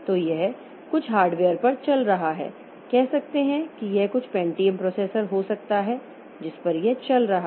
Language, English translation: Hindi, So, this may be running on some hardware, say it may be some Pentium processor onto which it is running